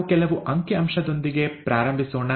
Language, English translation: Kannada, Let us start with some data